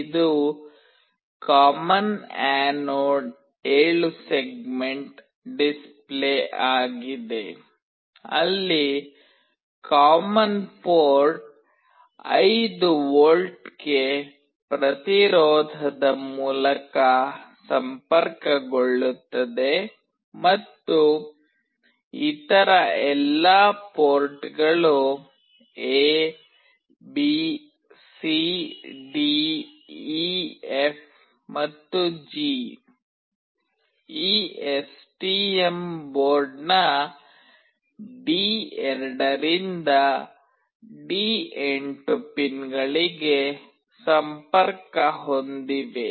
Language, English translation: Kannada, This is a common anode 7 segment display, where the common port is connected through a resistance to 5V and all other ports, that is A, B, C, D, E, F, and G, are connected to pins D2 to D8 of this STM board